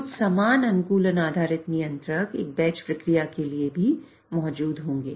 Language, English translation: Hindi, So, some similar optimization based controllers would also be present for a batch process as well